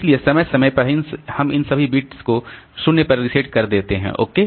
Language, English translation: Hindi, So, periodically we reset all these bits to 0